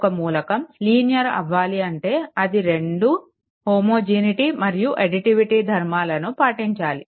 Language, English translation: Telugu, Then only you can say that element is linear it has to satisfy both homogeneity and additivity properties right